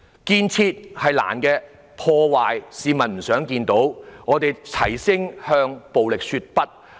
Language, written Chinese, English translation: Cantonese, 建設困難，市民也不想看到破壞，我們要齊聲向暴力說不。, Construction is difficult and no one wants to see any destruction so we must say no to violence in unison